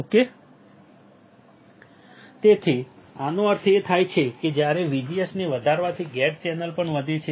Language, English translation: Gujarati, So, when this means that VGS increases channel gate also increases correct